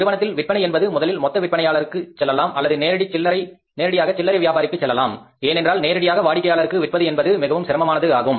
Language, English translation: Tamil, If from the firm the sales are going to the wholesaler or maybe directly to the retailer because hardly it is going directly to the customer, even if it is directly going to the customer